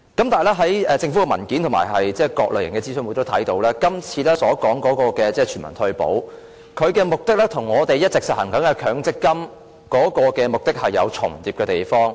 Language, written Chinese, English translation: Cantonese, 但是，在政府的文件及在各類型的諮詢會上也可以看到，今次所說的全民退保，其目的與我們一直實行的強積金的目的有重疊的地方。, However it can be seen from government papers and various types of public forums that in terms of the objective the universal retirement protection being discussed this time around actually overlaps in many areas with MPF which has all along been in place